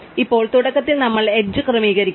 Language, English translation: Malayalam, Now, initially we have to sort the edges